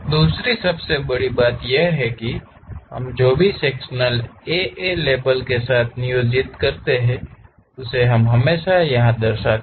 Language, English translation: Hindi, The second most thing is we always represent whatever the section we have employed with below section A A label we will show it